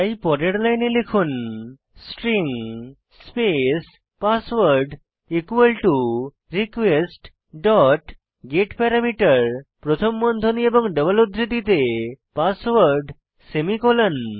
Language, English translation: Bengali, So on the next line, type, String space password equal to request dot getParameter within brackets and double quotes password semicolon